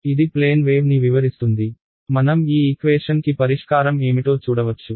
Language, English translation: Telugu, It describes a plane wave; we can see what is the solution to this equation